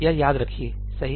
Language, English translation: Hindi, Remember this, right